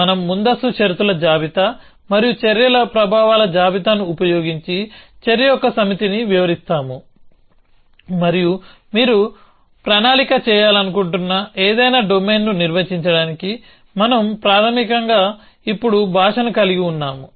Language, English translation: Telugu, So, we describe a set of action using the precondition list and the effects list of the actions and we can basically now have a language to define any domain in which you want to do planning